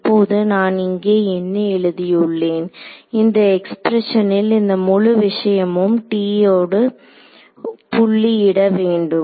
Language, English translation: Tamil, So, right now what I have written over here this expression just whole thing needs to be dotted with T m